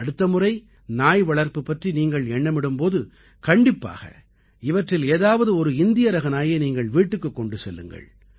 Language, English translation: Tamil, The next time you think of raising a pet dog, consider bringing home one of these Indian breeds